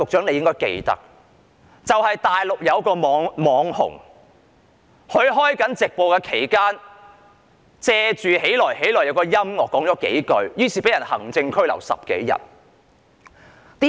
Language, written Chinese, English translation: Cantonese, 內地有一位"網紅"在直播期間，在"起來、起來"的音樂背景下，說了幾句話，結果被行政拘留10多天。, In the Mainland an Internet celebrity made some comments during the live cast when Arise arise ie . the national anthem was being played . Consequently the celebrity was administratively detained for 10 - odd days